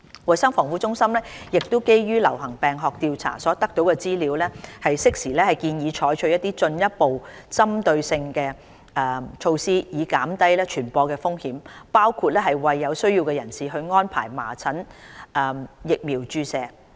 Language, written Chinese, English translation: Cantonese, 衞生防護中心亦會基於流行病學調查所得資料，適時建議採取進一步針對性的措施以減低傳播的風險，包括為有需要人士安排麻疹疫苗注射。, Based on the information obtained after epidemiological investigations CHP will timely recommend taking further specific measures to reduce the risk of spreading the disease including provision of measles vaccination to those who need the vaccination